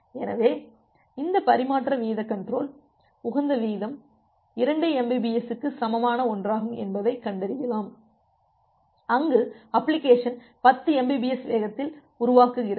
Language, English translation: Tamil, So, this transmission rate control may find out that well the optimal rate is something equal to 2 Mbps where as the application generates rate at a at 10 Mbps